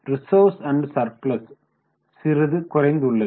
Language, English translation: Tamil, Reserves and surplus has slightly gone down